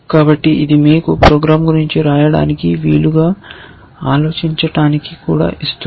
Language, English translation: Telugu, So, this also gives you something to think about you can write a program